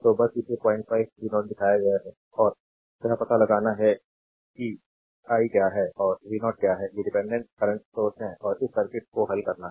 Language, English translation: Hindi, And you have to find out what is the i and what is the v 0, these are dependent current source, and you have to solve this circuit